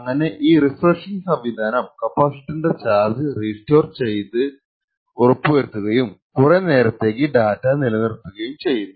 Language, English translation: Malayalam, So, this refreshing phase ensures that the charge on the capacitance is restored and maintained for a longer period